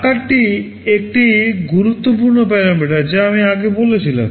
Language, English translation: Bengali, Size is an important parameter I talked earlier